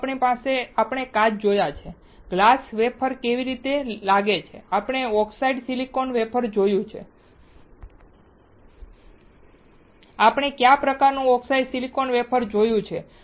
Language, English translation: Gujarati, Then we have seen glass and how glass wafer looks like, we have seen oxidized silicon wafer, what kind of oxidized silicon wafer we had, we have seen plastic substrate